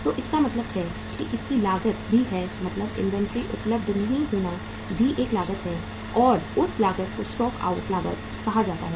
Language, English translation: Hindi, So it means that also has a cost means not being inventory not being available also has a cost and that cost is called as the stock out cost